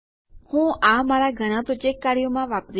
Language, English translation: Gujarati, I will be using this in a lot of my project work